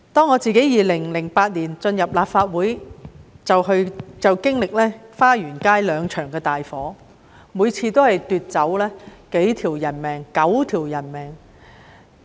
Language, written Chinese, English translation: Cantonese, 我在2008年進入立法會後，就經歷花園街兩場大火，每次都奪去數條人命 ......9 條人命。, Since I joined the Legislative Council in 2008 two major fires have broken out at Fa Yuen Street each claiming several nine deaths